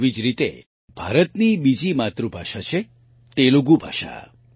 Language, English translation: Gujarati, Similarly, India has another mother tongue, the glorious Telugu language